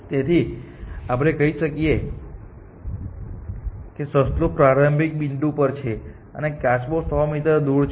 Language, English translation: Gujarati, So, let us say rabbit is at starting point and the tortoise is 100 meters away, the tortoise